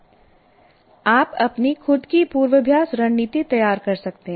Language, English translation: Hindi, You can design your own rehearsal strategy